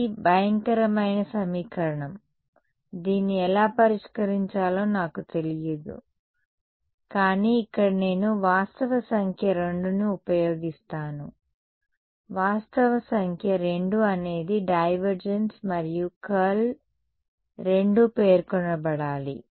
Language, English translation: Telugu, This is a horrendous equation I do not know how to solve it right, but here is where I use fact number 2; fact number 2 is divergence and curl both have to be specified